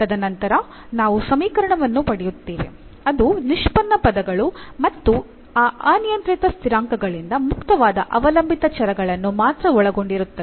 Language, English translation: Kannada, And then we will get equation which we will contain only the derivatives terms and the dependent independent variables free from that parameters